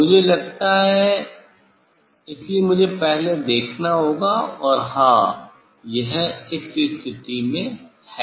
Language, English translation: Hindi, I think, so I first I have to see, and yes, it is in this position